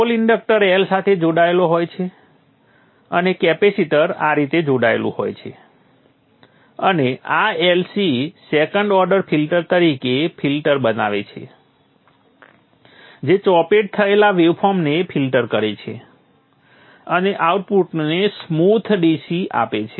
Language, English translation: Gujarati, The pole is connected to the inductor L and a capacitor is connected across like this and this LC forms a filter, a second order filter which filters out the chopped waveform and gives a smooth DC to the output